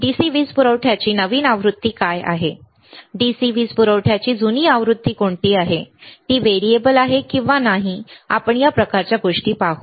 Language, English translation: Marathi, What are the newer version of DC power supply, what are the older version of DC power supply, it is variable not variable we will see this kind of things anyway